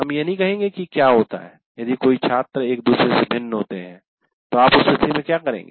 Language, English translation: Hindi, We will not say what happens if so many students are differ from each other, how do you take care of it